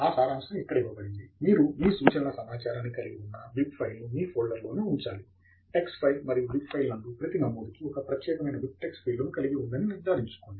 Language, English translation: Telugu, A summary is given here: you have to keep the bib file containing your reference data in the same folder as your tex file and ensure that the bib file contains the BibTeX field unique for every entry